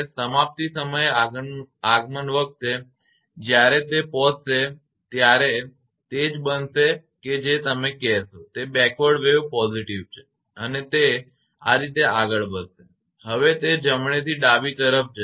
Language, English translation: Gujarati, When it is arriving when on arrival at termination right in that case what will happen that v b is your what you call backward wave is positive and it will move to this way now it is right to left it will move